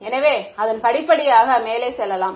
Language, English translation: Tamil, So, let us go over it step by step ok